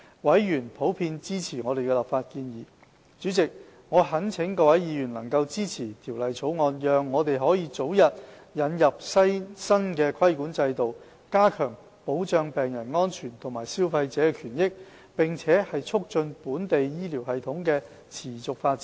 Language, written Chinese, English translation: Cantonese, 委員普遍支持我們的立法建議。主席，我懇請各位議員能夠支持《條例草案》，讓我們可以早日引入新規管制度，加強保障病人安全和消費者權益，並促進本地醫療系統持續發展。, President I implore Members to support the Bill so that we can introduce the new regulatory regime at an early day which aims to better safeguard the safety of patients and rights and interests of consumers as well as to promote the sustainable development of local health care system